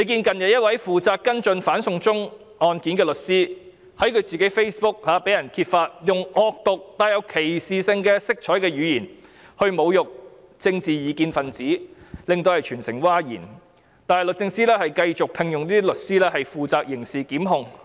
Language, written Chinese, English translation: Cantonese, 近日，一位負責跟進"反送中"案件的律師被揭發在自己的 Facebook 用惡毒、帶有歧視色彩的語言來侮辱政治異見分子，令全城譁然，但律政司繼續聘用這些律師負責刑事檢控。, Recently a lawyer responsible for a case related to anti - extradition to China was revealed to have used vicious and discriminatory language on her own Facebook page to humiliate political dissidents . A public outcry was triggered citywide . But the Department of Justice has continued to engage lawyers of this kind to undertake criminal proceedings